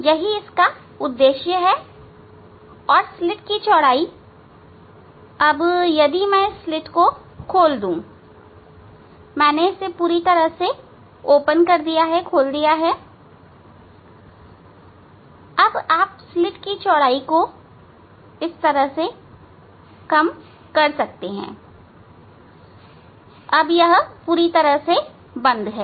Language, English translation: Hindi, this is the purpose of this one, and slit width if I open it you can see this is the slit, completely I have opened